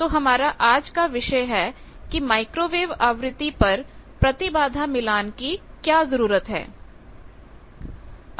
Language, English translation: Hindi, So, today's topic is need of impedance matching at microwave frequency